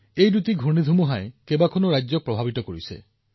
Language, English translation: Assamese, Both these cyclones affected a number of States